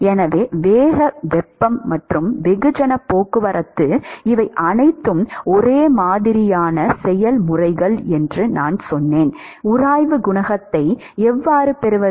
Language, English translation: Tamil, So, I said momentum heat and mass transport they are all similar processes, how do we get the friction coefficient